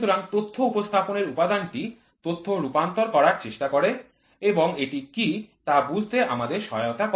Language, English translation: Bengali, So, the Data Presentation Element tries to convert the data in and helps us to understand what is it